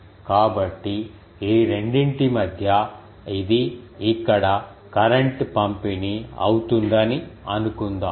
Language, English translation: Telugu, So, between these 2 suppose, if this was the current distribution here